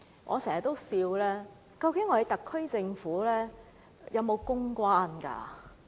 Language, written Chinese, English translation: Cantonese, 我經常笑問，究竟特區政府有沒有公關？, I often ridiculed the SAR Government for not making any public relations efforts